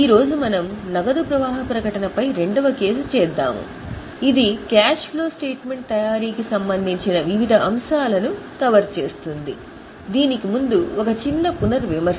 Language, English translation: Telugu, Today we will do second case on cash flow statement which will cover various aspects related to preparation of the statement